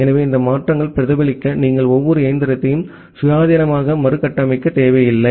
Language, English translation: Tamil, So, you do not need to reconfigure every machine independently to reflect these changes